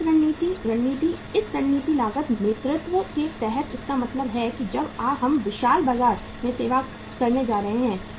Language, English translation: Hindi, Cost leadership strategy, under this strategy cost leadership means when we are going to serve the huge market